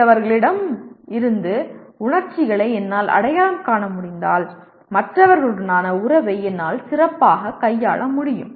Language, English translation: Tamil, And then if I am able to recognize emotions in others, I can handle the relations with other people much better